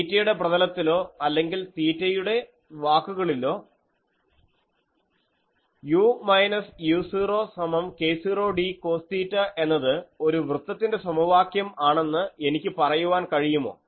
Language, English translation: Malayalam, Can I say that in the theta plane or in terms of theta, this is an equation of a circle u minus u 0 is equal to k 0 d cos theta, it is a non linear relation, but it is an equation of a circle